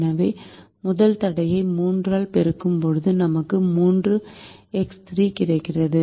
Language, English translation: Tamil, so when we multiply the first constraint by three, we get three into three